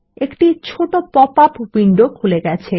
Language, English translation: Bengali, This opens a small popup window